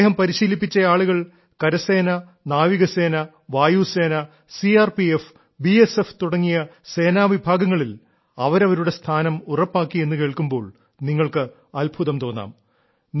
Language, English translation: Malayalam, You will be surprised to know that the people this organization has trained, have secured their places in uniformed forces such as the Army, Navy, Air Force, CRPF and BSF